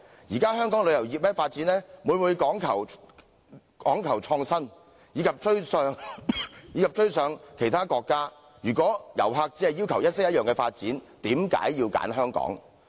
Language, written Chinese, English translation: Cantonese, 現時香港旅遊業發展每每講求創新，以及要追上其他國家，如果遊客只要求一式一樣的發展，為何要選香港？, Presently tourism development of Hong Kong always focuses on seeking innovation and catching up with other countries . Why do visitors choose Hong Kong if they merely seek identical experience?